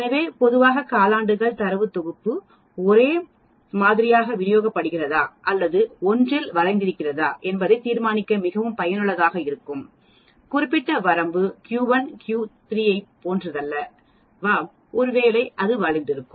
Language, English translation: Tamil, So generally the quartiles are very useful to determine whether the data set is uniformly distributed or is it skewed in one particular range, whether Q 1 is not same as Q 3, maybe it is skewed and so on actually